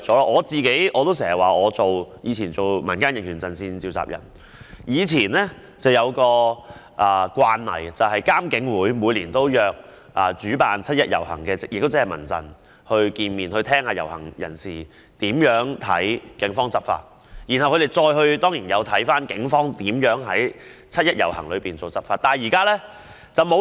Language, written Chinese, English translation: Cantonese, 我以往擔任民間人權陣線召集人時有一個慣例，就是監警會每年均會約見"七一遊行"的主辦單位，聽取遊行人士對警方執法的意見，而且他們當然有翻看警方在"七一遊行"期間執法的方式。, When I was the convenor of the Civil Human Rights Front CHRF as a practice IPCC would meet with the organizer of the 1 July procession which is CHRF to canvass the views of participants of the procession on law enforcement by the Police . And they certainly would review the manner of law enforcement by the Police during the 1 July procession